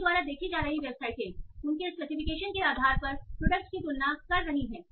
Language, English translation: Hindi, So, the website you see they are comparing products based on their specs